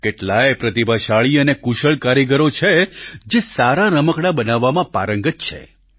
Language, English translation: Gujarati, There are many talented and skilled artisans who possess expertise in making good toys